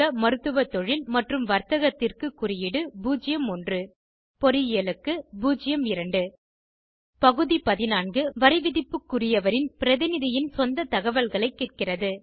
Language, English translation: Tamil, Medical Profession and Businesss code is 01 Engineering is 02 Item 14 asks for personal details of representative assessees